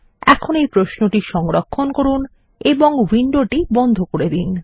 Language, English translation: Bengali, Let us now save the query and close the window